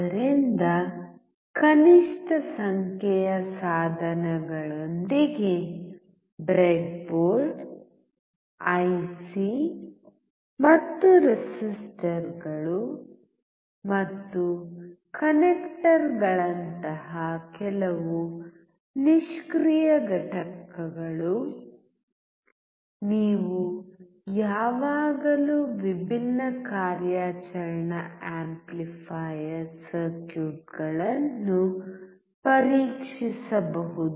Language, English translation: Kannada, So, with a minimum number of equipment; breadboard, IC and few passive components like resistors and connectors, you can always test different operational amplifier circuits